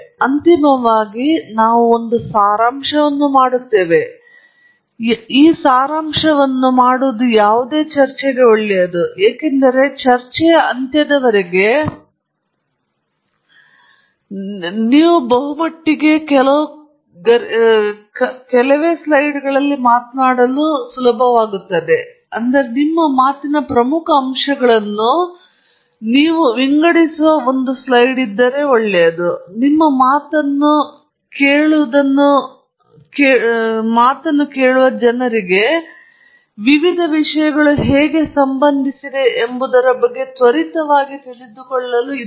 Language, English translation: Kannada, And finally, we will do a summary, which is the good thing to do for any talk, because a towards the end of the talk, it’s nice to show in just may be a one slide, one slide is pretty much all you should put up, maximum two slides, but ideally one slide in which you sort of summarize the key aspects of your talk, so that people who finish listening to your talk are able to, you know, quickly get an understanding of how various things relate to each other